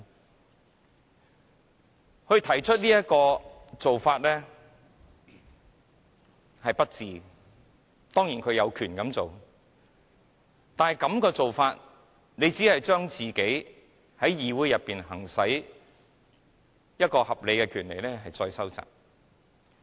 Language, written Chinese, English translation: Cantonese, 鄭松泰議員作出這種行為是不智的，當然他有權這樣做，但這樣做只會將自己在議會內可行使的合理權利收窄。, It was unwise of Dr CHENG Chung - tai to act in that manner . Of course he has the right to do so but such an act will only reduce the legitimate rights which he may exercise in the Council